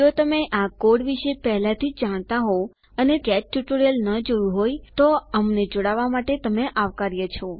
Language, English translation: Gujarati, If you already know these codes about and you have not seen the get tutorial, you are welcome to join us